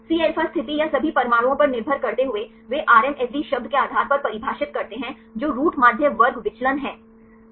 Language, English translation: Hindi, Depending upon a Cα position or all atoms right they define based on the term RMSD that is root mean square deviation